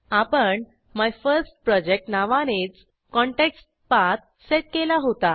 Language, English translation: Marathi, We had set the ContextPath as MyFirstProject itself